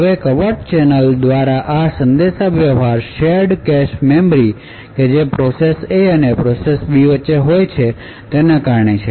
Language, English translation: Gujarati, Now this communication through the covert channel is essentially due to the shared cache memory that is present between the process A and process B